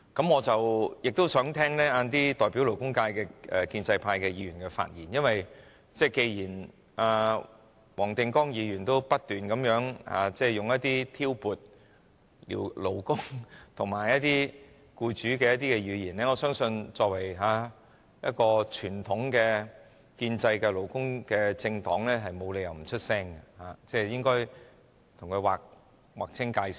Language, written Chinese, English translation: Cantonese, 我稍後亦想聽聽代表勞工界的建制派議員的發言，因為既然黃定光議員不斷使用一些挑撥勞工與僱主的語言，我相信作為一個傳統的建制派勞工政黨，沒理由不發聲，應該與他劃清界線。, I would like to listen to the speeches of the pro - establishment Members representing the labour sector later on because since Mr WONG Ting - kwong has kept making remarks to drive a wedge between workers and employers I think there is no reason for a traditional pro - establishment labour party not to utter a word . They should make a clean break with him